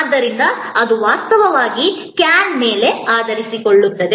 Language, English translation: Kannada, So, that is actually focused on can